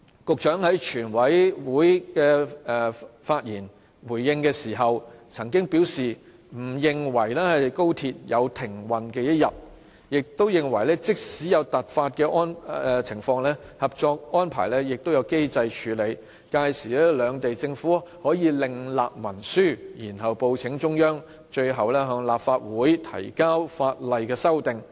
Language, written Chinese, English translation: Cantonese, 局長在全委會發言回應時，曾經表示不認為高鐵有停運的一天，亦認為即使有突發情況，《合作安排》亦有機制處理，屆時兩地政府可另立文書，然後報請中央，最後向立法會提交法例修訂案。, In his reply at the Committee stage the Secretary says that he does not think XRL will ever cease operation . He also thinks that even if any unexpected incidents happen they can still be dealt with under the mechanism of the cooperation agreement . In such cases he says the governments of the two places can actually sign a separate instrument and report to the Central Authorities